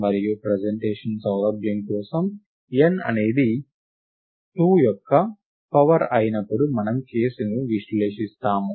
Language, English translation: Telugu, And for the ease of presentation, we analyze the case when n is a power of 2